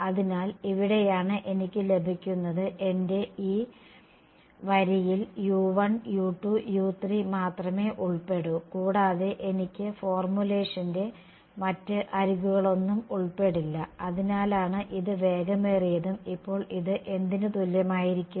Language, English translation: Malayalam, So, this is where I am getting my this row will only involve U 1,U 2,U 3 and no other edges of the entire formulation that is why it is fast right and now this is going to be equal to what